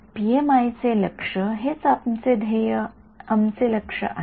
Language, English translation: Marathi, Our goal is what is the goal of PMI